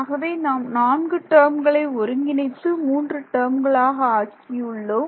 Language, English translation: Tamil, So, I have taken care of all four terms combined into three terms ok